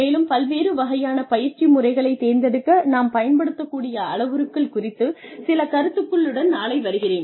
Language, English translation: Tamil, And, come tomorrow, with some ideas, regarding the parameters, we can use to select, different kinds of training methods